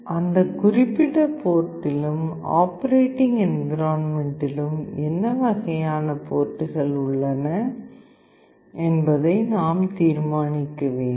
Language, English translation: Tamil, We need to decide upon that or what kind of ports are there in that particular board and the operating environment